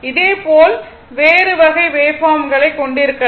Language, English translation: Tamil, Similarly, you may have other type of wave form